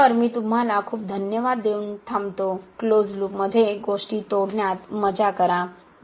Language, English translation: Marathi, So, I will close with this thank you very much, have fun breaking things in closed loop